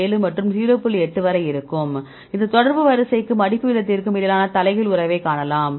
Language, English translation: Tamil, 8 that you can see inverse relationship between the contact order and the folding rate